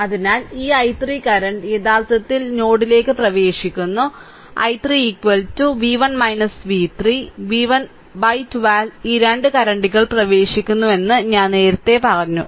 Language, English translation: Malayalam, So, this i 3 current actually entering into the node and i 3 I told you earlier that i 3 is equal to v 1 minus v 3 v 1 minus v 3 by 12 these 2 currents are entering right